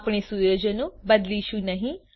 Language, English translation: Gujarati, We will not change the settings